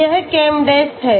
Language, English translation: Hindi, One of them is called ChemDes okay